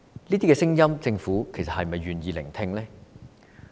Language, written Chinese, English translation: Cantonese, 這些聲音，政府是否願意聆聽呢？, Is the Government willing to listen to these views?